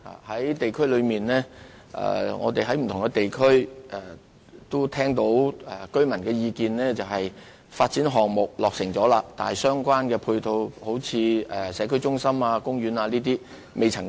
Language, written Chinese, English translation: Cantonese, 我們聽到不同地區居民的意見，他們表示，發展項目已經落成，但尚未提供相關配套設施，如社區中心和公園等。, We have heard the views of residents from different areas and what they tell us is that even though the development projects have been completed ancillary facilities such as community centres and parks have not yet been provided